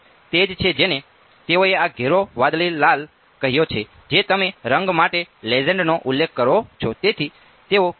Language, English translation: Gujarati, So, that is what they called this dark blue red that is the you specify the legend for the colour